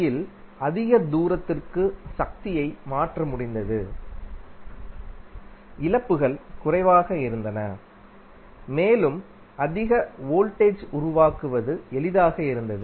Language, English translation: Tamil, Because AC was able to transfer the power at a longer distance, losses were less and it was easier to generate for a higher voltage